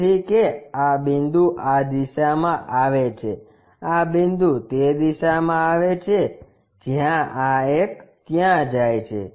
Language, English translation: Gujarati, So, that this point comes this direction this point comes in that direction this one goes there